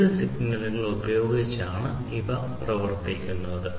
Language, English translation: Malayalam, These are powered by electrical signals